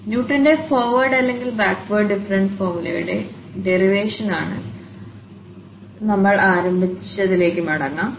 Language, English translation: Malayalam, So, let us go back to what we have started with for the derivation of Newton's forward or the backward difference formula